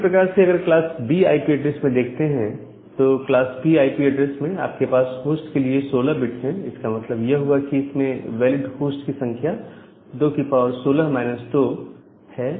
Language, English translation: Hindi, Similarly, if you go for class B IP address, in a class B IP address, you have 16 bits for the hosts, so; that means the number of valid hosts are 2 to the power 16 minus 2